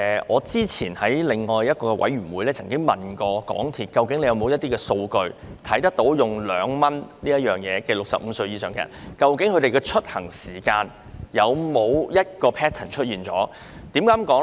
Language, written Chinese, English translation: Cantonese, 我之前在一個事務委員會會議上詢問港鐵公司有否任何數據，反映使用2元乘車優惠的65歲或以上人士的出行時間有否固定 pattern。, At a Panel meeting some time ago I asked whether MTRCL had any statistics showing a fixed pattern of travel timeslots among users of the 2 fare concession aged 65 or above